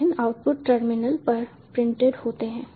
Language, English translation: Hindi, the various outputs are printed on the terminal